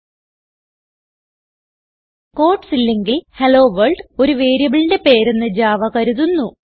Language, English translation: Malayalam, Without the quotes, Java thinks that HelloWorld is the name of a variable